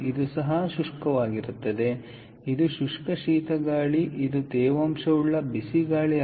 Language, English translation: Kannada, this is also dry, but this is dry cold air